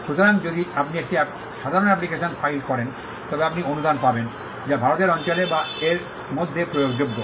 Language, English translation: Bengali, So, if you file an ordinary application, then you would get a grant, that is enforceable in or within the territory of India